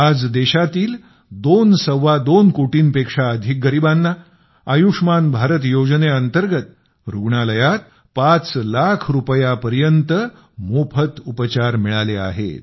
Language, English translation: Marathi, Today, more than two and a half crore impoverished people of the country have got free treatment up to Rs 5 lakh in the hospital under the Ayushman Bharat scheme